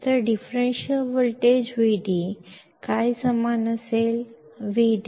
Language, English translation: Kannada, So, the differential voltage Vd will be equal to what